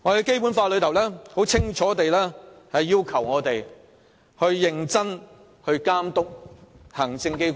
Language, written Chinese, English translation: Cantonese, 《基本法》清楚列明，議會須認真監督行政機關。, The Basic Law clearly provides that the Legislative Council shall seriously monitor the work of the Executive Authorities